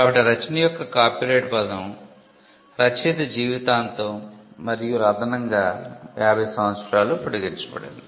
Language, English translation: Telugu, so, the copyright term of a work extended throughout the life of the author and for an additional 50 years